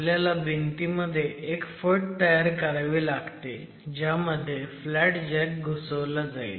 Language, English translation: Marathi, In the wall you make a slot into which the flat jack is inserted